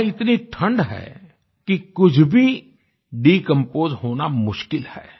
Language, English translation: Hindi, It is so cold there that its near impossible for anything to decompose